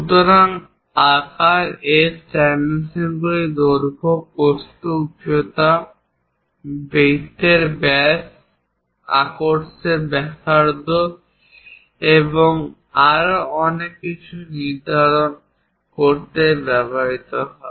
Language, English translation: Bengali, So, size S dimensions are used to define length, width, height, diameter of circles, radius of arcs and so on, so things